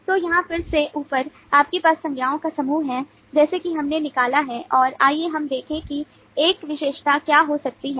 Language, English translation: Hindi, so here on top again you have the set of nouns as we have extracted and let us look at what could be an attribute